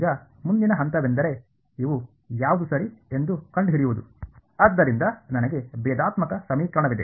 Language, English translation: Kannada, Now the next step is to find out what are these a’s right, so I have a differential equation